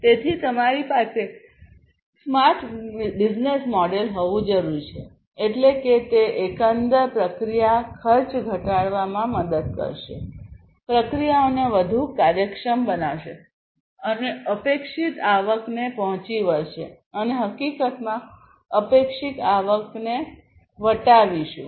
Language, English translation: Gujarati, So, you need to have a smart business model, that is, that will help in reducing the overall process cost, making the processes more efficient and meeting the expected revenue and in fact, you know, exceeding the expected revenue